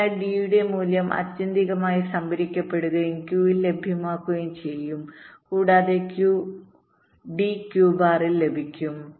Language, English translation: Malayalam, so the value of d will ultimately be stored and will be available at q and d bar will be available at q bar